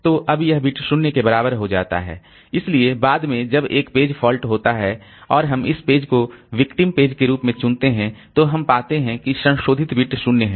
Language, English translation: Hindi, So later when a page fault occurs and we select this page as the victim, okay, this, so then we find that the modified bit is 0